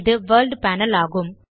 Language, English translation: Tamil, This is the World panel